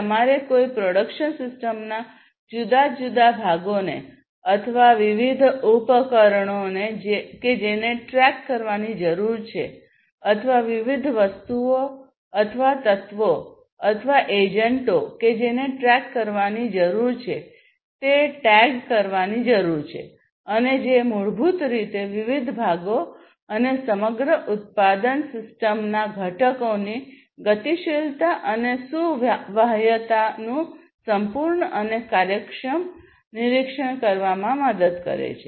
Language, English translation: Gujarati, And, so, basically you know you need to tag the different parts in a production system or different equipments that need to be tracked or different items or elements or agents that need to be tracked you would be tagging them with some RFID tags and that basically helps to have a complete monitoring and efficient monitoring, of these, of the mobility and portability of these different parts and constituents of the whole production system